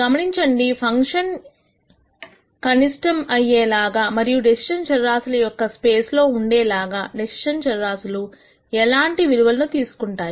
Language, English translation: Telugu, Notice that the point at which the decision variables take values such that the function is a minimum is also in the decision variable space